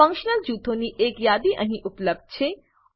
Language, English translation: Gujarati, A list of functional groups is available here